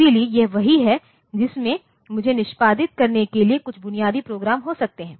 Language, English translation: Hindi, So, this is the there I can have some basic programs to be executed